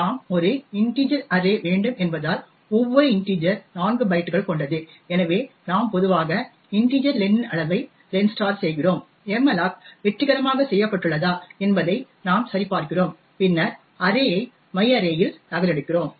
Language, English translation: Tamil, Since we want an integer array and each integer is of 4 bytes therefore we typically do len * the size of the integer and we check whether malloc was done successfully and then we copy array into myarray